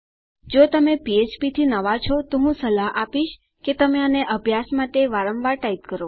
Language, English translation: Gujarati, If you are new to php I would suggest that you type these out again and again just for practice